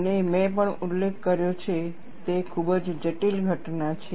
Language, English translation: Gujarati, And I also mentioned, it is a very complex phenomenon